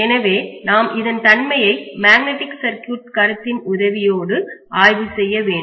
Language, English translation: Tamil, So we call this whatever is the behaviour we try to analyze it by the help of magnetic circuit concepts